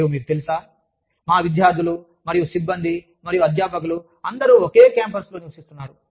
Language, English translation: Telugu, And, you know, we have students, and staff, and faculty, everybody, living in the same campus